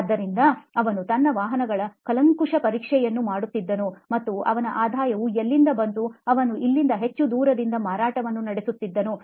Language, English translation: Kannada, So he used to do his servicing overhaul of vehicles and that’s where his revenue came from, he was running a dealership not too far from here